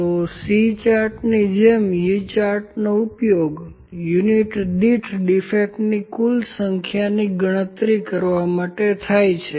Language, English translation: Gujarati, So, similar to C chart, the U chart is used to calculate the total number of defects per unit